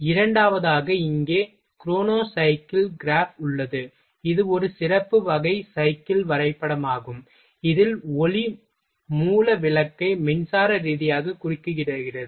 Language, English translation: Tamil, Second one is chronocyclegraph here, it is a special type of cyclegraph in which the light source bulb is suitably interrupted electrically